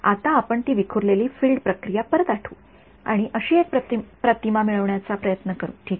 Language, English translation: Marathi, Now, we will collect back the scattered field process it and try to get an image that is the idea ok